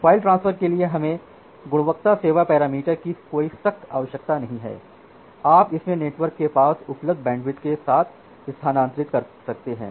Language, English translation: Hindi, For file transfer as such we do not need any strict requirement on the quality of service parameters you can transfer it with whatever available bandwidth is there in the network